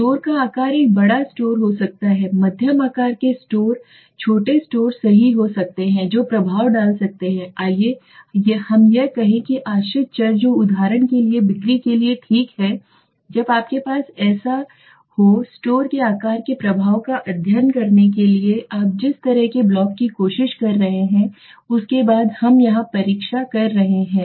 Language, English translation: Hindi, The size of store could be a big store medium size store small stores right that can have an effect on the let us say the dependent variable that is sales for example okay so when you have such kind of a block you are trying to study the impact of store size then the what we do here is the test